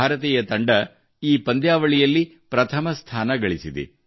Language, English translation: Kannada, The Indian team has secured the first position in this tournament